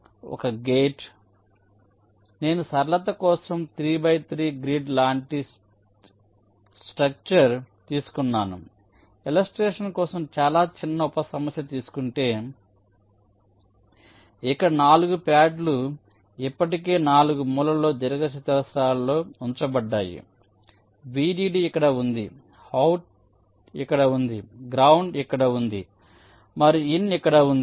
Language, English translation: Telugu, so i am assuming, for simplicity, that i have a three by three grid like structure a very small sub problem for illustration where the four pads are already p pre placed in the four corner rectangles: vdd is here, out is here, ground is here and in is here